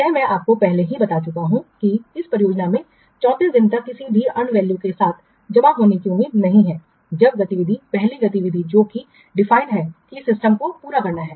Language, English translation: Hindi, This I have already told you that this project is not expected to be credited with any end value until day 34 when the activity, first activity that is specified overall system is to be completed